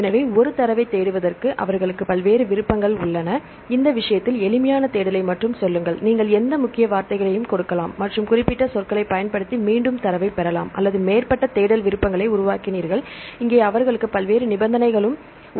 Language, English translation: Tamil, So, they have various options to search a data only say simple search in this case you can give any keywords and again get the data using specific keywords or they developed advanced search options, here they have various conditions